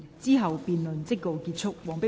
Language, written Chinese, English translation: Cantonese, 之後辯論即告結束。, The debate will come to a close after that